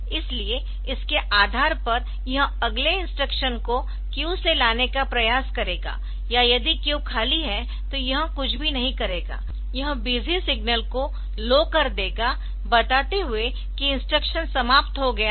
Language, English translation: Hindi, So, based on that it will try to fetch the next instruction from the queue or if the if the queue is empty, it will not do anything it will raise the busy signal telling that it is over, it will make the busy signal low telling that the instruction is over